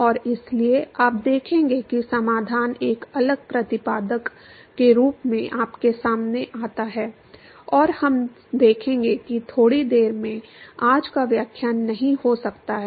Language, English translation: Hindi, And therefore, you will see there the solution falls out to be a different exponent, and we will see that in a short while, may be not todays lecture